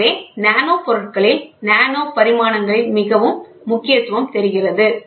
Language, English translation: Tamil, So, this is the importance of nanomaterials nanodimensions